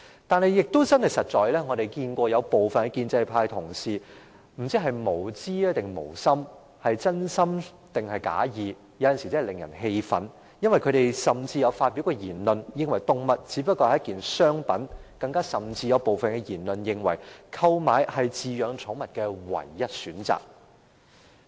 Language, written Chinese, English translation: Cantonese, 但是，對於另一些建制派同事，我不知道他們是無知還是無心，是真心還是假意，他們的言論有時真的令人感到氣憤，因為他們曾說動物只是商品，甚至有部分人認為購買是飼養寵物的唯一選擇。, However there are some other pro - establishment Members who have made really infuriating comments at times and I have no idea whether they have made the comments out of ignorance or inadvertence or whether or not these are sincere comments . According to them animals are just commodities . Some of them even think that buying animals is the only option for people who want to keep pets